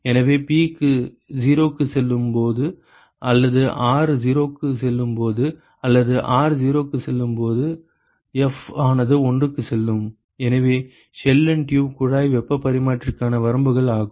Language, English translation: Tamil, So, which simply means that when P goes to 0, and R goes to 0 or R goes to 0 either of these two the F will tend to F will go to 1 ok, so, which means that the limits for Shell and tube heat exchanger